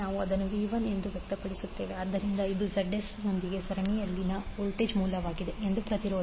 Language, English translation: Kannada, We will express it as Vs, so this is voltage source in series with Zs that is impedance